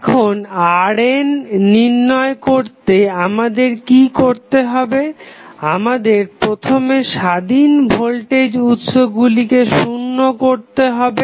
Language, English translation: Bengali, Now, what we have to do to find R n, we have to first set the independent voltage sources equal to 0